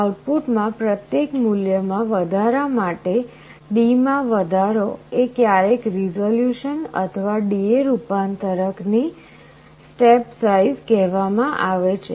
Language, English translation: Gujarati, This increase in output for every one value increase in D is sometimes called resolution or the step size of a D/A converter